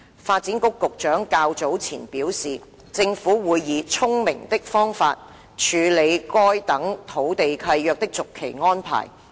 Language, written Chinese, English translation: Cantonese, 發展局局長較早前表示，政府會以"聰明的方法"處理該等土地契約的續期安排。, The Secretary for Development SDEV stated earlier that the Government would find a smart method to deal with the renewal of such leases